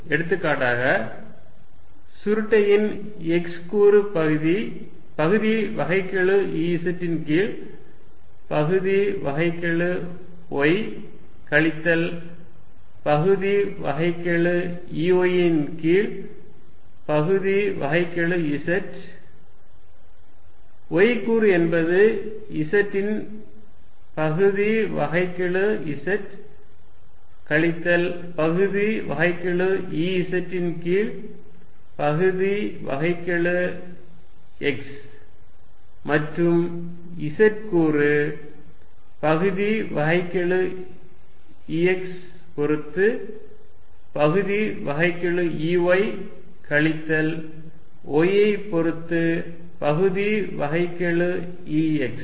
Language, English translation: Tamil, For example, the x component of curl would be partial E z by partial y minus partial E y by partial z, y component will be partial z of x minus partial E z by partial x and the z component is going to be partial E y with respect to E x minus partial E x with respect to y